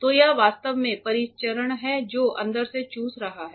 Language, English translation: Hindi, So, it is actually circulation is from inside it is sucking ok